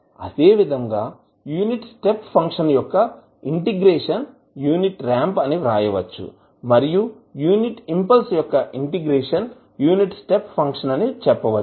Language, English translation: Telugu, Similarly, unit ramp is integration of unit step function and unit step function is integration of unit impulse function